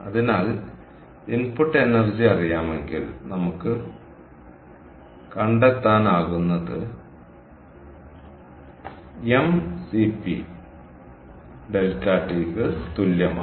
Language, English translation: Malayalam, so therefore, if we know the input energy, ah, what we could find was that is equal to m, c, p, delta, t